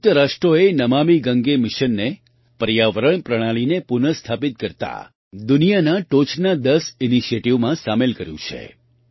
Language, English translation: Gujarati, The United Nations has included the 'Namami Gange' mission in the world's top ten initiatives to restore the ecosystem